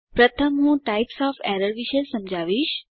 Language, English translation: Gujarati, First I will explain about Types of errors